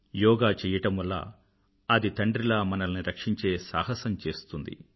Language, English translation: Telugu, The practice of yoga leads to building up of courage, which always protects us like a father